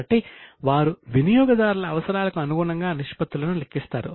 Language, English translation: Telugu, So, as per the needs of the user, they calculate ratio